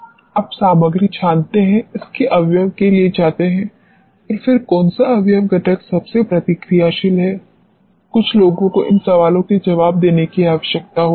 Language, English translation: Hindi, You sieve the material go for its components and then which component is most reactive, some people are required to answer these questions